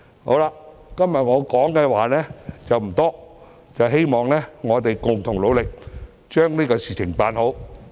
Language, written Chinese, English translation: Cantonese, 我今天的發言內容不多，希望大家共同努力把事情辦好。, I do not have much to talk about today . I hope that we can do better by working together